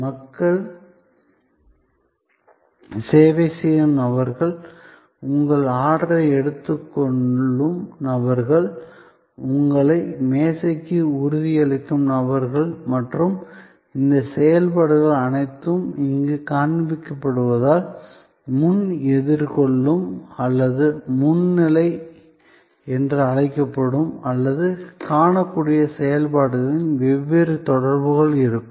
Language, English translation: Tamil, There will be different interactions with the people, who are serving, people who are taking your order, people who are assuring you to the table and all these activities are the so called front facing or front stage as it is showing here or visible activities